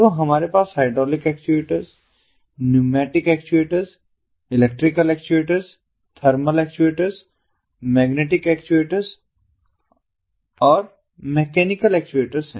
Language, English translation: Hindi, so we have hydraulic actuators, pneumatic actuators, electrical actuators, thermal actuators, magnetic actuators and mechanical actuators